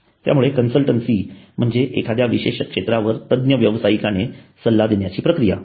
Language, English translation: Marathi, So consultancy is the act of giving an advice by an expert professional on a specialized area